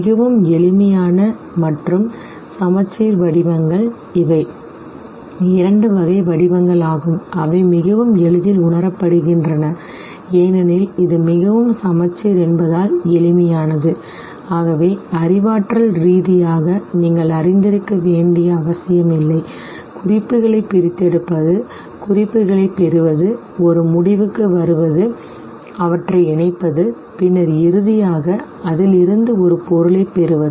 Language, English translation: Tamil, These are the two types of forms which are very easily perceived because it is too simple and because it is too symmetrical, therefore you do not have to cognitively engage yourself in too much of, you know, extraction of cues, derivation of cues, arriving at a conclusion, combining them, and then finally deriving a meaning out of it